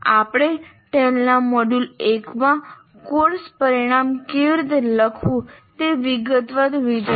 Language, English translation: Gujarati, And we have already seen in detail in the module 1 how to write course outcomes